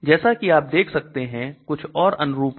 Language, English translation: Hindi, As you can see these are other analogs of this